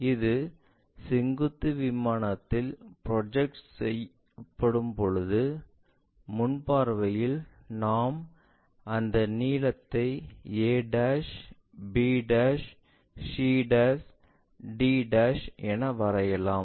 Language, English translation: Tamil, When it is done in the vertical plane the front view, we can draw that length locate a', b', c', d'